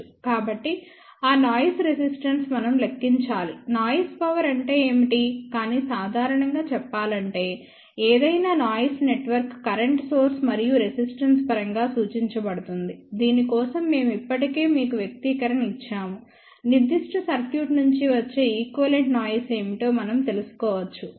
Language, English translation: Telugu, So, for that noisy resistor we have to calculate what is the noise power, but just to say in general any noisy network can be represented in terms of a current source and resistance for which we have already given you the expression; one can find out, what is the equivalent noise coming out of that particular circuit